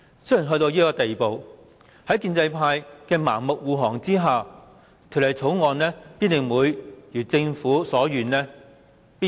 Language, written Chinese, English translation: Cantonese, 雖然到了這地步，在建制派的盲目護航下，《廣深港高鐵條例草案》必然會如政府所願通過。, Even though we have come to this stage that the Guangzhou - Shenzhen - Hong Kong Express Rail Link Co - location Bill the Bill will be endorsed with the blind support of the pro - establishment camp